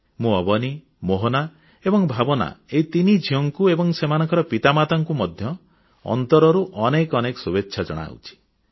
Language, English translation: Odia, I extend my heartiest wishes to these three daughters Avni, Bhawana and Mohana as well as their parents